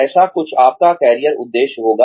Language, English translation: Hindi, Something like that, would be your career objective